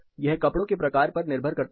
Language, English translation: Hindi, It depends from clothing type to clothing type